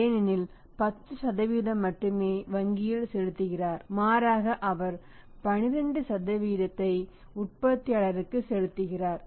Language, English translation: Tamil, He is paying less to the bank and his paying more to the manufacturer